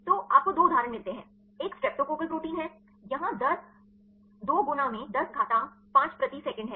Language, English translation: Hindi, So, you get 2 examples one is a streptococcal protein here the rate is 2 into 10 to power 5 per second